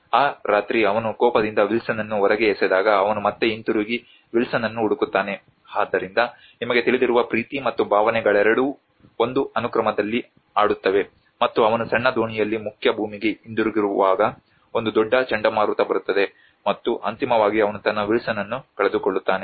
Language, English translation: Kannada, That night when he throws Wilson out in his anger he again goes back and searches for Wilson so with both love and emotions you know play in a sequence and when he was travelling back to the mainlands in a small boat a huge hurricane comes and finally he loses his Wilson